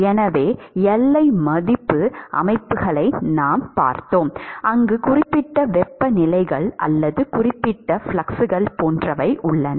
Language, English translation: Tamil, So, all along the we had looked at boundary value systems, where you have specific temperatures or specific fluxes etcetera which is specified in either of the boundaries